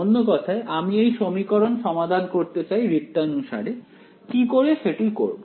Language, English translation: Bengali, In other word I want to solve this equation formally, how do I do it